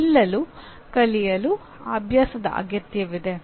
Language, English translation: Kannada, Learning to stand requires practice